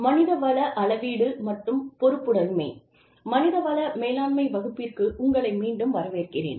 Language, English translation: Tamil, Welcome back, to the class on, Human Resources Management